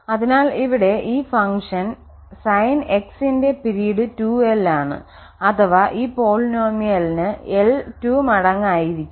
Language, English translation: Malayalam, So, the period for this Sn x for this function here or for this polynomial will be 2 times l